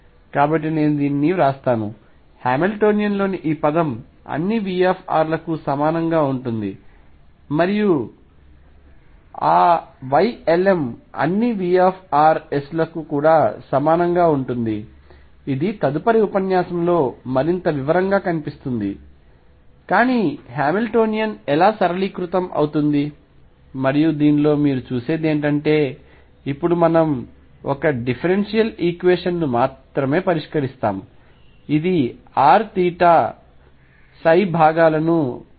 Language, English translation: Telugu, So, let me write this; this term in the Hamiltonian will be the same for all V r and those y L ms will also be the same for all V rs, this will see in more detail in the next lecture, but this is how the Hamiltonian gets simplified and what you see in this is that now we are expected to solve only a differential equation which is for r the theta phi components have been taken care of